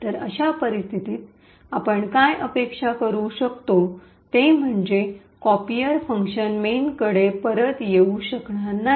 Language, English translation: Marathi, So, in such a case what we can expect is that the copier function will not be able to return back to main